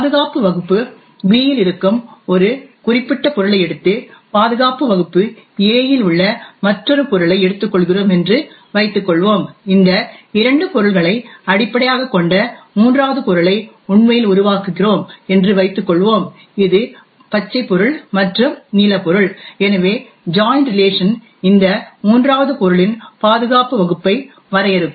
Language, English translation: Tamil, Suppose let us say that we take a particular object present in security class B and take another object present in security class A, suppose we actually create a third object which is based on these two objects that is the green object and the blue object, so the join relation would define the security class for this third object